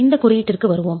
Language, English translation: Tamil, We will come to this code